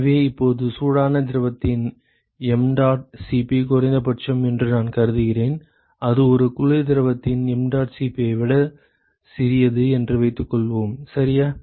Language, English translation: Tamil, So, now, suppose I assume that mdot Cp of the hot fluid is the minimum ok, assume that that is the that is the smaller than the mdot Cp of a cold fluid, ok